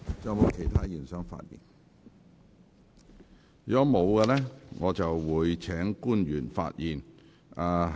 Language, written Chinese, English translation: Cantonese, 如果沒有議員想發言，我會請官員發言。, If no Member wishes to speak I will invite public officers to speak